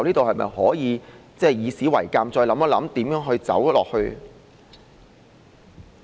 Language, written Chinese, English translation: Cantonese, 是否應該以史為鑒，再想想如何走下去？, Should we draw lessons from history and ponder our way forward?